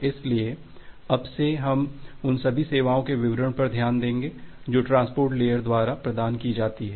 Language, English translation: Hindi, So, from today onwards we look into the details of all those services which are being provided by the transport layer